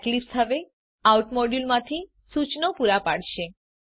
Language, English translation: Gujarati, Now Eclipse will provide suggestions from the out module